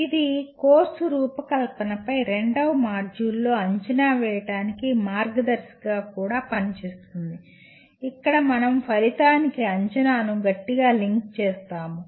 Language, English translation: Telugu, And it also acts as a guide for assessment in the second module on course design that is where we strongly link assessment to the outcome